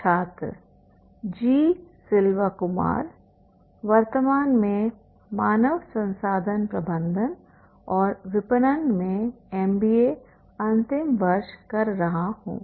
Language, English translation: Hindi, Selva Kumar currently doing my MBA final year in Human Resource Management and Marketing